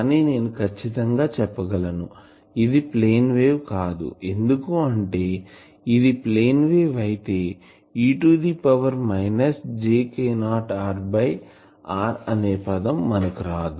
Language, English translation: Telugu, So, they are locally plane wave, but they are not strictly speaking plane wave, because if they are plane wave this e to the power minus j k not r by r term would not come